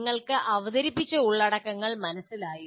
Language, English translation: Malayalam, Do you understand the contents that are presented to you